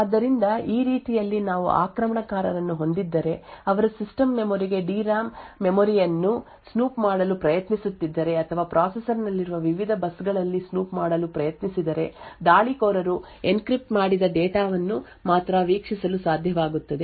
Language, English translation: Kannada, So this way if we have an attacker who is trying to snoop into the system memory the D RAM memory for instance or try to snoop into the various buses present in the processor then the attacker would only be able to view the encrypted data so this ensures confidentiality of the enclave region as well as integrity of the data